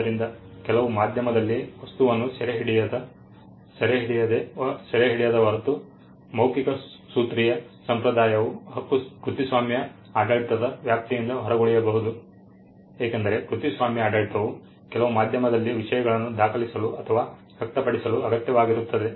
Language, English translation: Kannada, So, the oral formulaic tradition unless the substance is captured in some medium can remain outside the purview of the copyright regime, because the copyright regime requires things to be recorded or expressed on some medium